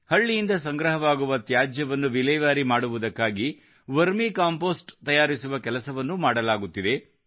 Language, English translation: Kannada, The work of making vermicompost from the disposed garbage collected from the village is also ongoing